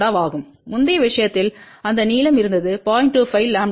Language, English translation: Tamil, 346 lambda in the previous case that length was 0